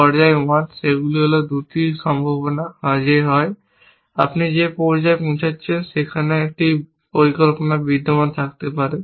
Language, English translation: Bengali, The stage 1, they are 2 possibilities that either you have reach the stage in which a plan may exists